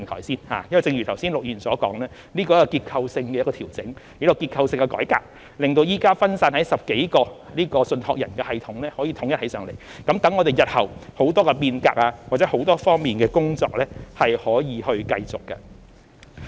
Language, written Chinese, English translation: Cantonese, 正如陸議員剛才所說，這是一個結構性的調整，亦是一個結構性的改革，令現時分散在10多個信託人的系統得以統一起來，讓我們日後在很多方面的變革或很多方面的工作得以繼續進行。, As Mr LUK has just said this is a structural adjustment and a structural reform that will consolidate the systems currently scattered among a dozen trustees enabling us to carry out reform or work on various fronts in the future